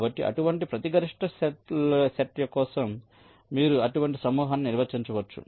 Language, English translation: Telugu, so for every such maximum set you can define such a clique